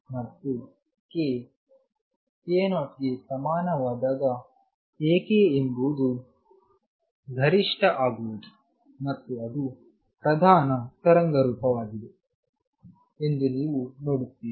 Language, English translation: Kannada, And A k is maximum for k equals k 0 because you see that is a predominant waveform